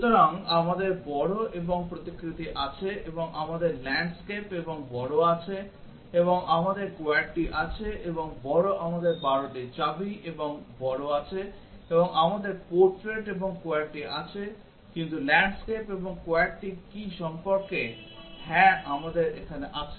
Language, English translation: Bengali, So, we have large and portrait and we have landscape and large and we have QWERTY and large we have 12 key and large and we have portrait and QWERTY, but what about landscape and QWERTY yes we have here